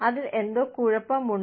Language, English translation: Malayalam, There is something wrong with it